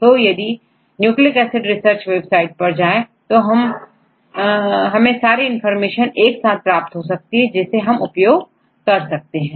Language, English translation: Hindi, So, look into this nucleic acid research website, we will get the information regarding the all the information so that you can use it